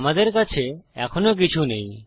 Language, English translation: Bengali, We still dont have anything